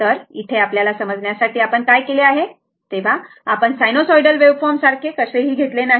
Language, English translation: Marathi, Now, here for your for our understanding what we have done is, here we have not taken it your what you call a sinusoidal waveform like that